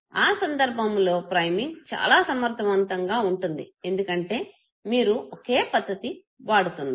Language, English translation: Telugu, In that case priming will be very, very effective because you are using same modality